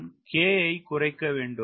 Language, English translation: Tamil, how do i reduce k